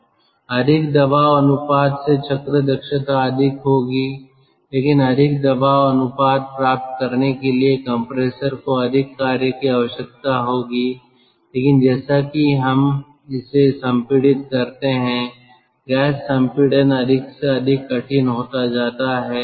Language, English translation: Hindi, more the pressure ratio, higher will be the cycle efficiency, but more the pressure ratio there will be more work needed by compressor and in the compressor we are compressing a gas